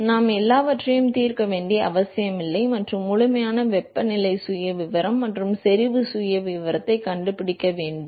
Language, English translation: Tamil, So, we do not need to solve everything and find the complete temperature profile and concentration profile